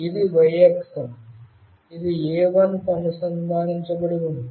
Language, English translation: Telugu, This is y axis this one is connected to A1